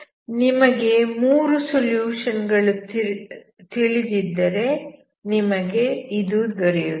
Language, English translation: Kannada, If you know the three solutions, this is what you will get